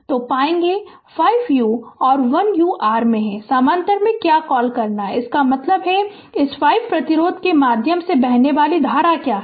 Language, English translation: Hindi, So, it will find 5 ohm and 1 ohm are in your what you call in parallel that means, what is the current flowing through this 5 ohm resistance right